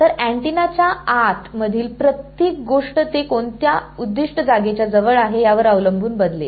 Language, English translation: Marathi, So, everything inside the antenna will change depending on what objective place it close to